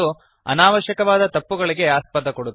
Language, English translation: Kannada, And this gives unnecessary errors